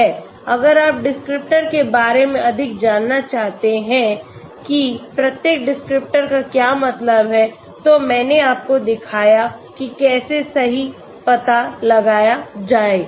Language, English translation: Hindi, If you want to know more about the details of what each descriptor means I did show you how to find out right